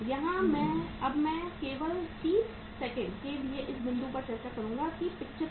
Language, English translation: Hindi, Here now I will discuss just for a uh 30 seconds this point that is 75